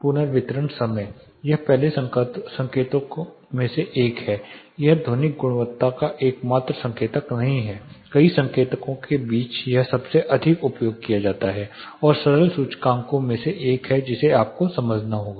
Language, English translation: Hindi, This is one of the first indicator this is not the only indicator of acoustic quality among several indicators this is a most commonly used and one of the simple indices which you have to understand